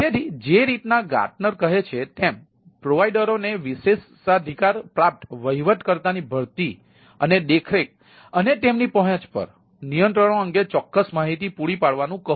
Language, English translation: Gujarati, so, like a gartner says that, ask providers to supplies specific information on hiring and oversight of privileged administrator and controls over their access